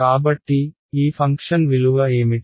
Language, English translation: Telugu, So, what will the value of this function be